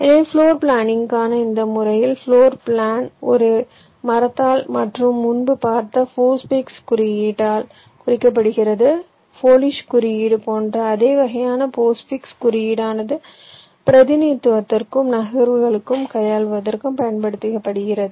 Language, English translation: Tamil, ok, so so in this method for floor planning, the floor plan is represented by a tree and the polish notation that i talked about earlier, that postfix notation, that same kind of postfix notation, is used for representation and also for manipulation of the moves